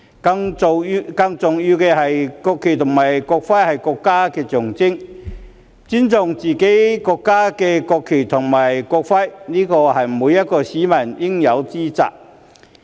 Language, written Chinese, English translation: Cantonese, 更重要的是，國旗和國徽是國家的象徵，而尊重自己國家的國旗和國徽是每一名市民應有之責。, More importantly the national flag and national emblem are the symbols of our country and it is the responsibility of every citizen to respect the national flag and national emblem of our own country